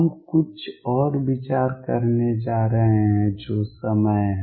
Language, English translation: Hindi, We are going to take some other consideration is time